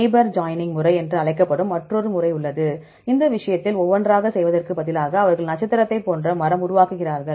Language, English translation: Tamil, There is another method that is called neighbor joining method; in this case instead of going one by one they make a star like tree